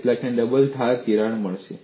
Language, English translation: Gujarati, How many have got the double edge crack